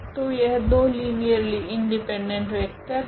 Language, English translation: Hindi, So, they are 2 linearly independent vector